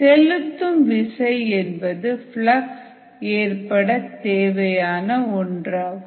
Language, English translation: Tamil, driving force is the one that is necessary for the flux to occur